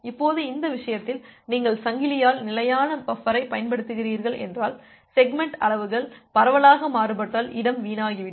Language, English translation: Tamil, Now in this case, if you are using chained fixed size buffer, the space would be wasted if segment sizes are widely varied